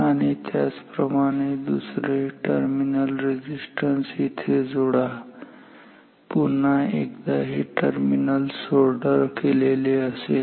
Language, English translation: Marathi, Similarly, connect another terminal here again, this is soldered another terminal here, again this is soldered